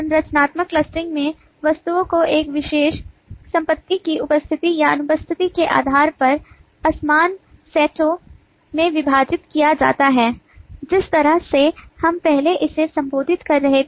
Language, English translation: Hindi, in the structural clustering, the objects are divided into disjoint sets depending on the presence or absence of a particular property, pretty much the way we were addressing this earlier